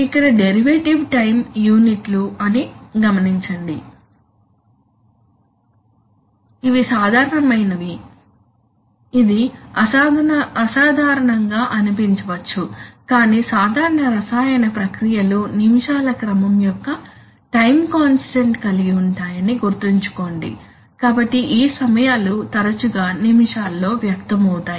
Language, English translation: Telugu, The derivative time here, note the time units of minutes, these are rather unusual it may seem rather unusual but remember that typical chemical processes have time constant of the order of minutes, so these times are often expressed in minutes